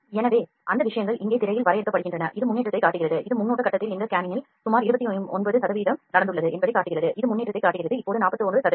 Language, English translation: Tamil, So, those things are being defined here in the screen also it is showing the progress, it has shown that around this much 29 percent of this scanning in the preview phase has happened that is showing the progress are now 41 percent